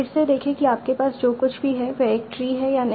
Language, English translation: Hindi, Again see if the, if whatever you are finding is a tree or not